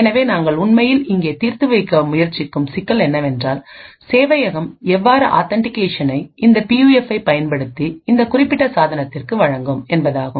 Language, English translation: Tamil, So the problem that we are actually trying to solve here is that how would the server authenticate this particular device using the PUF